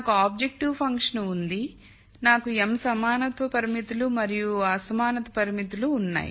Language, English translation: Telugu, So, I have the objective function, I have m equality constraints and l inequality constraints